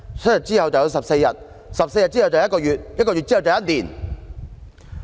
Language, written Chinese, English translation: Cantonese, 7天之後便是14天 ，14 天之後就變成1個月，然後就是1年"。, With a seven - day paternity leave in hand they will ask for a further extension to fourteen days and then a month and even a year